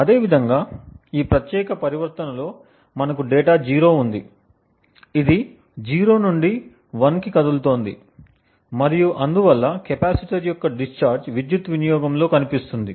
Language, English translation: Telugu, Similarly, in this particular transition we have data 0 which is moving from 0 to 1 and therefore the discharging of the capacitor shows up in the power consumption